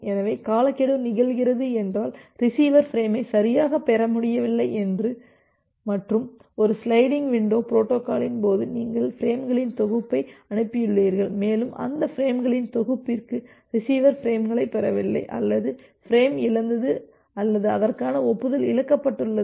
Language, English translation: Tamil, So, timeout occur means, the receiver was not able to receive the frame correctly and in case of a sliding window protocol you have send the set of frames and for those set of frames the receiver has not received the frames, either the frame has been lost or the corresponding acknowledgement has been lost